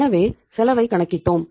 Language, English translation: Tamil, So then we calculated the cost